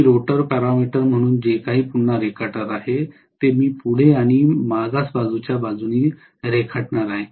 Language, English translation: Marathi, Whatever I am drawing as the rotor parameter again I am going to draw corresponding to forward side and backward side